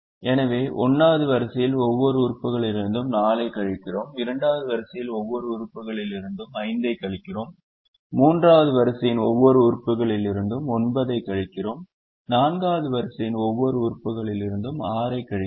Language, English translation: Tamil, we subtract five from every element of the second row, we subtract nine from every element of the third row and we subtract six from every element of the fourth row